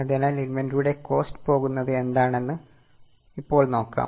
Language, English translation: Malayalam, So, now we will look at what goes into the cost of inventory